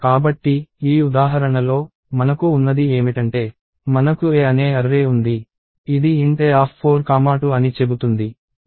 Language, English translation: Telugu, So, in this example, what we have is we have an array called A, which says int A of 4 comma 2